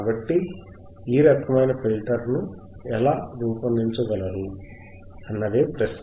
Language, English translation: Telugu, So, how you can design this kind of filter right, that is the question